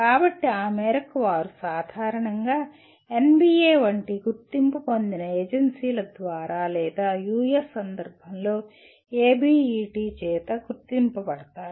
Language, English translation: Telugu, So to that extent they are normally identified by accrediting agencies like NBA or in the US context by ABET